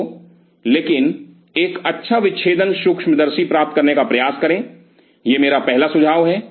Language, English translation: Hindi, So, but try to get a good dissecting microscope my first suggestion